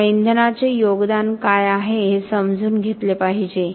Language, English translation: Marathi, So, we have to understand what is the contribution of fuel